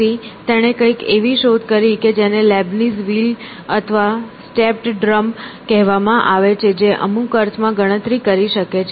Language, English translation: Gujarati, So, he invented something which is called as a Leibniz wheel or a stepped drum which could do counting in some sense